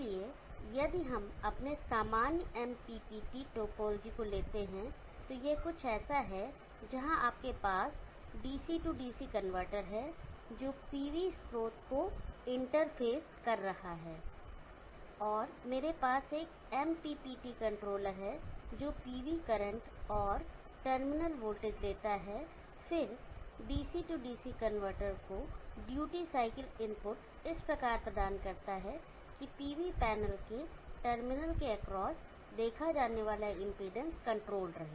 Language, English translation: Hindi, Where you have DC DC convertor, which is interfacing the PV source and I have a MPPT controller which takes the PV current and the terminal voltage, and then, provides the duty cycle inputs to the DC DC convertor such that the seen from the across the terminal of the PV panel is controlled